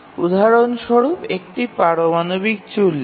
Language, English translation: Bengali, I just giving an example of a nuclear reactor